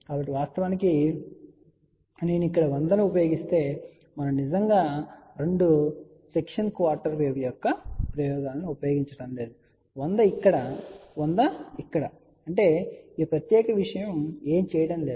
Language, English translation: Telugu, So, in reality if I use 100 here we are not really using advantages of two section quarter wave ; 100 here, 100 here; that means, this particular thing has not done anything